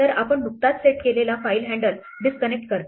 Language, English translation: Marathi, So, it disconnects the file handle that we just set up